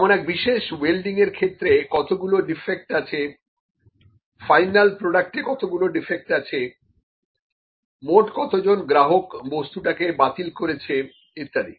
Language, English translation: Bengali, Then number of defects in welding in the specific welding, total number of defects in the final product, ok, total number of customers who are rejecting the product; these are the numbers, ok